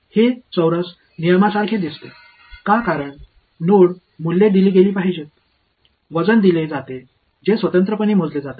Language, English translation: Marathi, It looks like a quadrature rule, why because the node values are to be given; the weights are given which are independently calculated